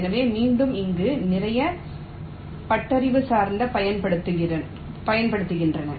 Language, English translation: Tamil, so again there are lot of heuristics that are used here